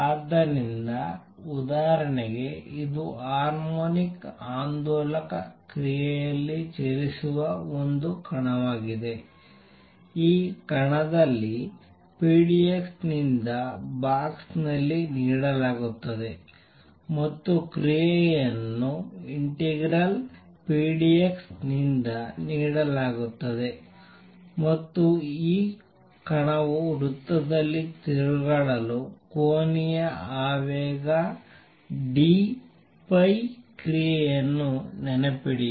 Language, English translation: Kannada, So, for example, it is a particle moving around in harmonic oscillator action is given by pdx in this particle in a box, again action will be given by integral pdx and for this particle going around in a circle, the action remember was given by the angular momentum d phi